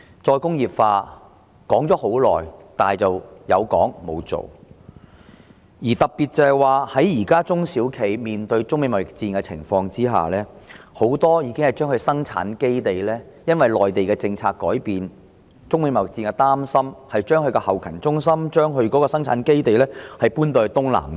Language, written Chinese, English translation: Cantonese, 再工業化討論已久，但卻沒有實際行動，特別是現時中小企面對中美貿易戰，很多企業也基於內地政策改變和對中美貿易戰的憂慮而將生產基地和後勤中心遷往東南亞。, While re - industrialization has been discussed for a long time practical action has been absent . Particularly at this time when SMEs face the China - United States trade war a number of enterprises have relocated their production bases and back - up offices to Southeast Asia due to Mainland policy changes and worries about the China - United States trade war